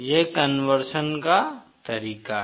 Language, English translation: Hindi, This is the way conversion is done